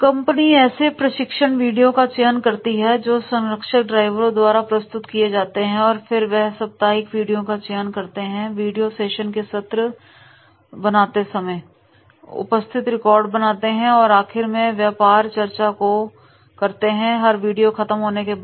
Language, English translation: Hindi, The company produced training videos that are presented by the mentor drivers and then they talk about mentors driver job is to select the weekly video, scheduled viewing sessions, keep attendance records and guide a rap up discussion following each video